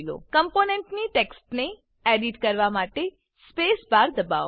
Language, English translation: Gujarati, Press the Space bar to edit the text of the component